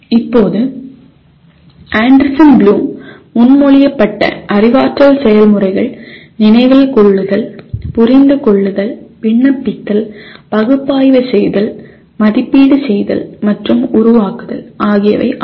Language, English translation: Tamil, Now, the cognitive processes that we have as proposed by Anderson Bloom are Remember, Understand, Apply, Analyze, Evaluate, and Create